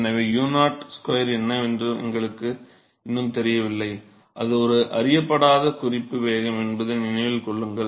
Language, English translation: Tamil, So, we still do not know what u0 square is remember that it is a is an unknown reference velocity